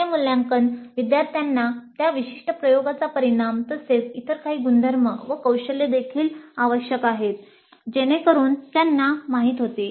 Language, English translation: Marathi, Now these assessments help the students know the outcome of that particular experiment as well as maybe some other attributes and skills that are required